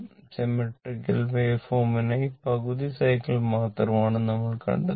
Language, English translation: Malayalam, For symmetrical waveform, we will just go up to your half cycle